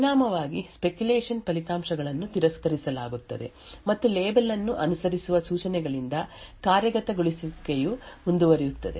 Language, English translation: Kannada, As a result the speculated results are discarded and execution continues from the instructions following the label